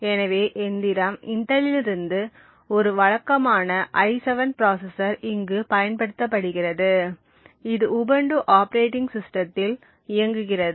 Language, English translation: Tamil, So, the machine that we are using over here is a regular i7 machine from Intel and it is running an Ubuntu operating system